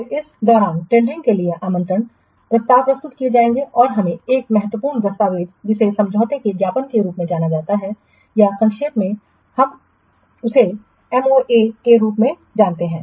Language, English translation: Hindi, Then during this what invitation to tender proposals will be submitted and we have to what no one important document called as memoranda of agreement or in short we call as MOA